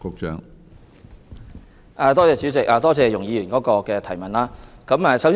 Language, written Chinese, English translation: Cantonese, 主席，多謝容議員提出的補充質詢。, President I thank Ms YUNG for her supplementary question